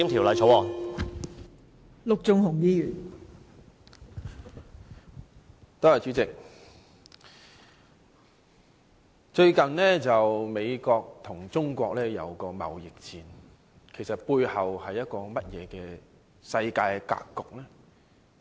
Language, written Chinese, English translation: Cantonese, 代理主席，最近，美國和中國進行貿易戰，背後的世界格局究竟如何？, Deputy President recently the United States and China have been engaged in a trade war . What is the actual global situation behind this?